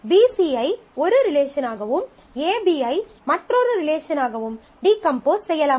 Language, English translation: Tamil, So, you can decompose in terms of BC as one relation and AB as another relation